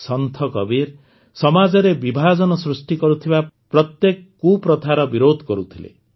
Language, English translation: Odia, Sant Kabir opposed every evil practice that divided the society; tried to awaken the society